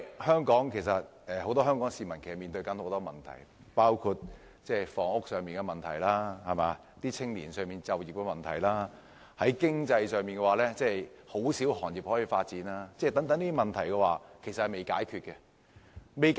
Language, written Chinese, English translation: Cantonese, 香港市民其實面對很多問題，包括房屋問題，青年就業的問題，而經濟方面亦只有很少行業可以發展，這些問題均有待解決。, As a matter of fact Hong Kong people are facing a great deal of problems including housing and youth employment whereas on the economic front only very few industries have the potential for further development . All these problems have yet remained to be solved